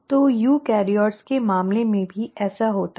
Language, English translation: Hindi, So this happens in case of eukaryotes